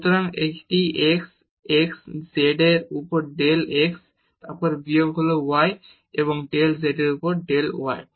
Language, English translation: Bengali, So, this is x del z over del x and then minus this is y and del z over del y